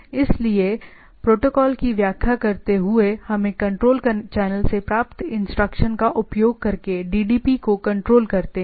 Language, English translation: Hindi, So, interprets the protocol let us let DDP be controlled using command received from the control channel